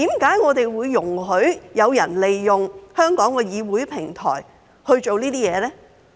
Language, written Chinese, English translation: Cantonese, 為何會容許有人利用香港議會平台做這些事呢？, Why were people allowed to use Hong Kongs legislature as a platform to do such things?